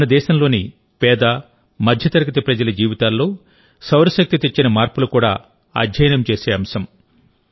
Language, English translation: Telugu, How solar energy is changing the lives of the poor and middle class of our country is also a subject of study